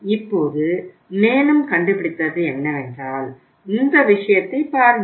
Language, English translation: Tamil, Now what the further have found out, the survey has found out is look at this thing